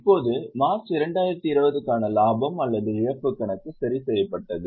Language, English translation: Tamil, Now, profit or loss account for March 2020 was given